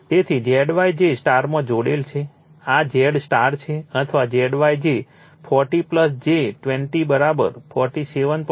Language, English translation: Gujarati, So, Z y that star connected it is so, Z star or Z y is given 40 plus j 25 is equal to 47